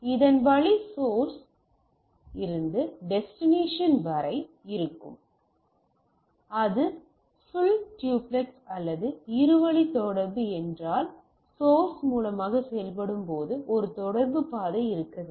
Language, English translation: Tamil, So, this way source to destination is there, if it is a full duplex or both way communication and there should be a communication path when the destination source when it acts as a source and this is the distance